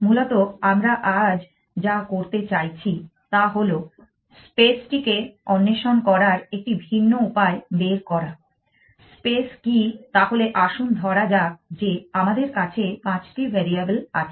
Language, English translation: Bengali, Essentially, we want to do today is a different way of exploring the space, what the space is, so let us say we have variables are five variables